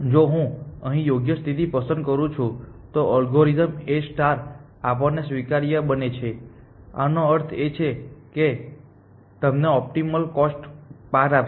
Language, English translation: Gujarati, That if I choose a right condition here, then the algorithm A star becomes admissible and by admissible we mean it will find you the optimal cost path essentially